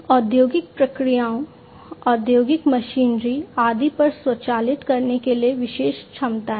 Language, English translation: Hindi, Special capabilities for automating the industrial processes, industrial machinery, and so on